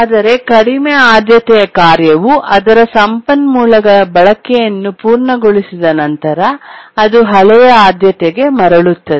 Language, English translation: Kannada, But then once the low priority task completes its users of the resource, it gets back to its older priority